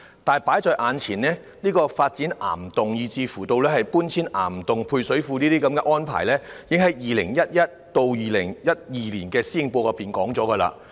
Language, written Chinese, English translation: Cantonese, 但放在眼前的問題是，發展岩洞，以至配水庫搬遷往岩洞等計劃在 2011-2012 年度施政報告中已經提到。, But the issue in question is that the plans to develop rock caverns and relocate service reservoirs to caverns etc . have already been mentioned in the 2011 - 2012 Policy Address